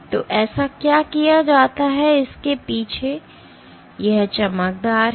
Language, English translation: Hindi, And what is done so, the backside of this, this is shiny